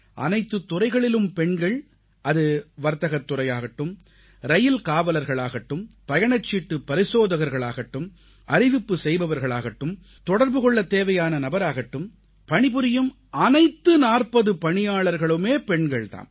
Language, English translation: Tamil, All departments have women performing duties… the commercial department, Railway Police, Ticket checking, Announcing, Point persons, it's a staff comprising over 40 women